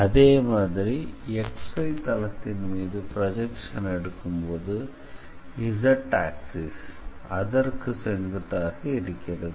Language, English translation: Tamil, So, if you are taking the projection on XZ plane then basically y axis is perpendicular